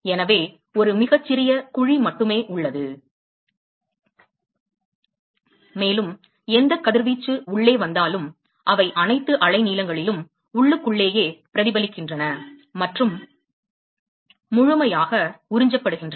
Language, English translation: Tamil, So, there is only a very small cavity, and whatever radiation that comes inside, they are internally reflected, and absorbed completely, at all wavelengths